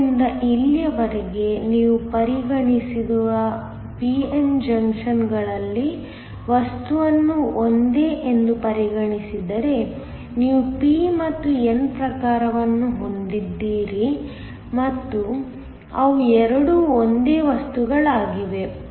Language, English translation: Kannada, So, far in the p n junctions you have considered, if considered the material to be the same so you have the p and the n type and they are the both the same materials